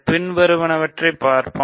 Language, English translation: Tamil, Let us look at the following